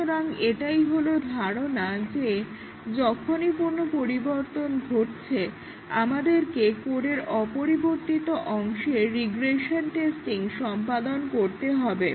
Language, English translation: Bengali, So, that is the idea here that we need to carry out regression testing to the unchanged part of the code, when anything changes